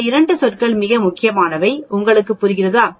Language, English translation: Tamil, These 2 terms are very, very important, do you understand